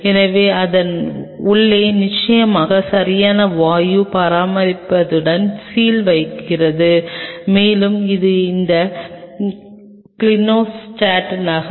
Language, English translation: Tamil, So, the inside it seals properly with of course, proper gaseous exchange and it is moving in this clinostat